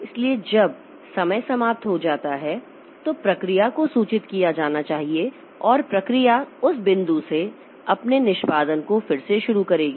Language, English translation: Hindi, So, when that time is over then the process should be informed and the process will resume its execution from that point